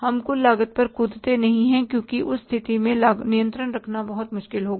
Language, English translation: Hindi, We don't jump to the total cost because exercising the control in that case will be very, very difficult